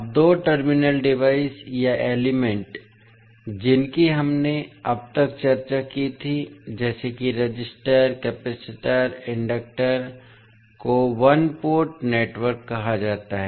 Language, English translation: Hindi, Now, two terminal devices or elements which we discussed till now such as resistors, capacitors, inductors are called as a one port network